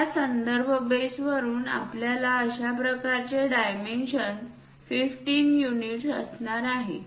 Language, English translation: Marathi, From that reference base we are going to have such kind of dimension, 15 units